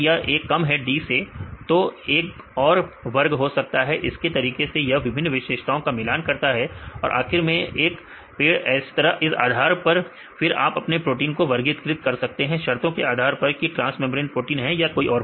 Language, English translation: Hindi, So, if this A is less than D then it could be the group another group; likewise it compare various features then finally, this will make a tree right and finally, you classify these are the conditions are met then your protein right this is the kind of transmembrane helical proteins right they can do that